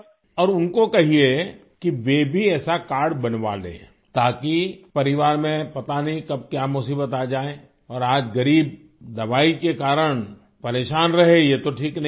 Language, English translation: Urdu, And do tell them that they should also get such a card made because the family does not know when a problem may come and it is not right that the poor remain bothered on account of medicines today